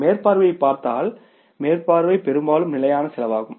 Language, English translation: Tamil, If you look at the supervision, supervision is the part of the fixed cost